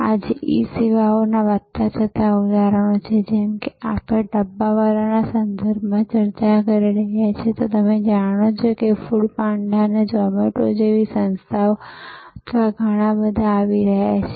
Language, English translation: Gujarati, Today there are rising examples of E services like as we were discussing in the context of the dabbawalas you know organizations like food panda or zomato or and so on so many of them are coming up